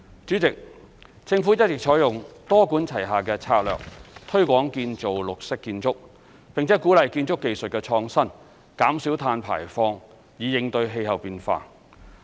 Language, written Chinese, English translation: Cantonese, 主席，政府一直採用多管齊下的策略，推廣建造綠色建築，並鼓勵建築技術創新，減少碳排放，以應對氣候變化。, President the Government has been adopting a multi - pronged strategy to promote construction of green buildings encourage innovation in building technology and reduce carbon emissions so as to combat climate change